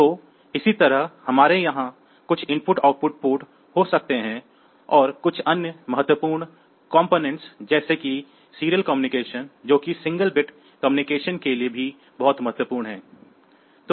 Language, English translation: Hindi, So, similarly we can have some IO port here and some other important the operable thing component like a serial communication that is also very important because for single bit communication